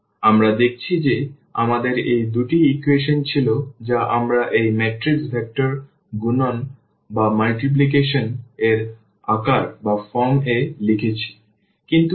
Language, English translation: Bengali, So, we have seen that we had these two equations which we have also written in the form of this matrix a vector multiplication